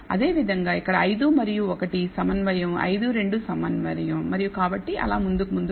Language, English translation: Telugu, Similarly here it says 5 and 1 are concordant 5 2 are concordant and so, on so, forth